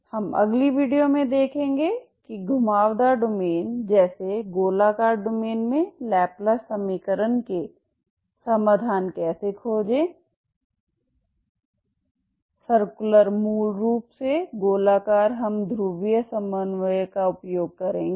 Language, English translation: Hindi, We will see in the next video how to find the solutions for the laplace equation in a curved domain such as circular domains, circular basically circular we will use polar co ordinates okay